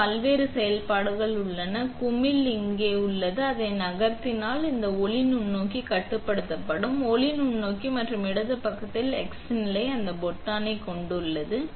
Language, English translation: Tamil, So, there are different functions on this; this knob right here, so, if you move it, this will put this will control the light microscope; x position in the light microscope and the left side has the same button